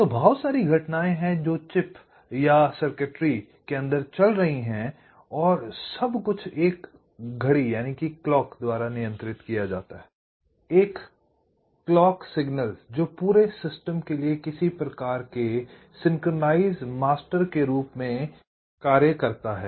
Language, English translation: Hindi, so there are lot of events which are going on inside the chip or the circuitry and everything is controlled by a clock, a clock signal which acts as some kind of a synchronizing master for the entire system